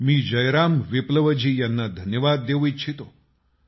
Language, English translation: Marathi, I want to thank Jai Ram Viplava ji